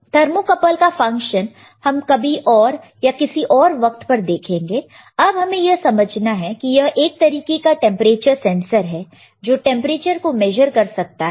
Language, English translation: Hindi, This tip, this one is your thermocouple, all right So, we will see the function of thermocouple somewhere, sometime else, but understand that this is also kind of temperature sensor it can measure the temperature